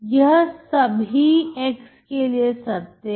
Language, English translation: Hindi, This is true for∀ x